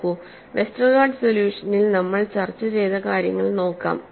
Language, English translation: Malayalam, See, let us look at what we have discussed as Westergaard solution